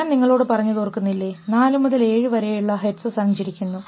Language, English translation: Malayalam, So, if you remember I told you this 4 to 7 hertz riding over this is the type of stuff it happens